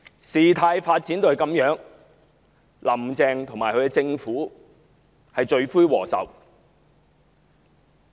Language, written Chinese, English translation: Cantonese, 事態發展至這樣的局面，"林鄭"及其政府是罪魁禍首。, Carrie LAM and her Administration are the main culprits responsible for such a development in the situation